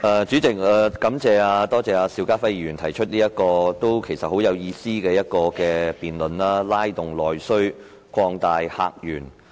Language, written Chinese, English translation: Cantonese, 主席，感謝邵家輝議員提出這項很有意思的議案辯論："拉動內需擴大客源"。, President I would like to thank Mr SHIU Ka - fai for proposing this meaningful motion Stimulating internal demand and opening up new visitor sources